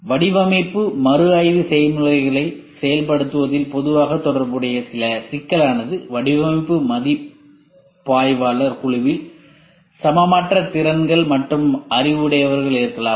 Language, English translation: Tamil, Some commonly associated problems with the implementation of the design review processes are; unevenly matched skills and knowledge among the design reviewer team